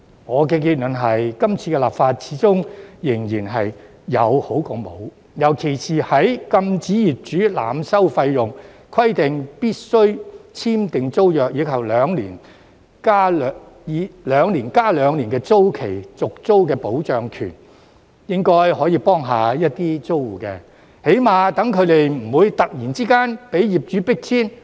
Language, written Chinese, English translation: Cantonese, 我的結論是，今次的立法始終是有總較沒有的好，尤其是包括禁止業主濫收費用、規定必須簽訂租約，以及"兩年加兩年"的租住權保障，應該可以幫助到一些租戶，起碼他們不會突然被業主迫遷。, My conclusion is that the current legislation exercise is definitely better than none . In particular the prohibition of overcharging by landlords the requirement of signing tenancy agreements and the two plus two years of security of tenure should be able to help some tenants at least they will not be evicted by landlords suddenly